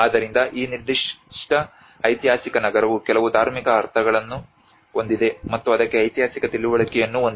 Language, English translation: Kannada, So this particular historic city has some religious meanings and the historical understanding to it